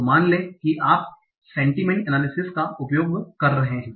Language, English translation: Hindi, So, suppose you are doing sentiment analysis